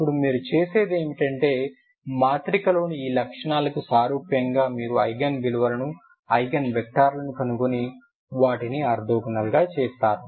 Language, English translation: Telugu, Differential Equation, now what you do is you analogous to these properties of a matrix you find the Eigen values Eigen vectors and make them orthogonal